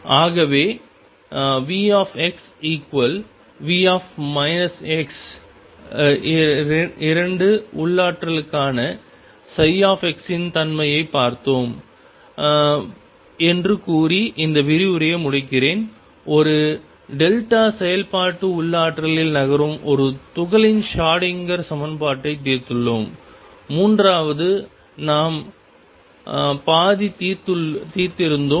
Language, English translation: Tamil, So, let me conclude this lecture by stating that we have looked at the nature of psi x for V x equals V minus x potentials 2, we have solved the Schrodinger equation for a particle moving in a delta function potential and third we have half solved